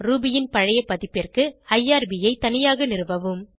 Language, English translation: Tamil, For older version of Ruby, install irb separately